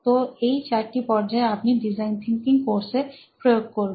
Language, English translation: Bengali, So, these are the four stages that you will be using as part of the design thinking course